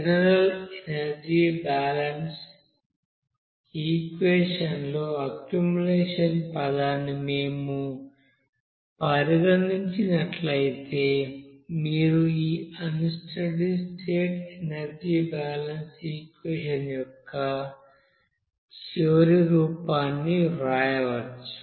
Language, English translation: Telugu, So if we consider that accumulation terms in you know general you know energy balance equation, then you can you know write this final form of you know unsteady state energy balance equation